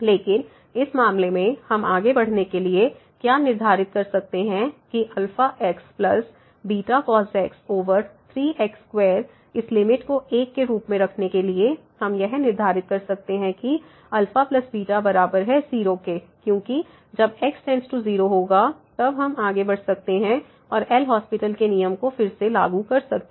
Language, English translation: Hindi, But in this case so, what we can set to move further that this alpha square plus beta divided by square to have this limit as , we can set that alpha plus beta is equal to because when goes to then we can move further and apply the L’Hospital’s rule again